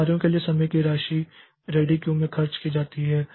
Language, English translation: Hindi, So, the amount of time that is job spends in the ready queue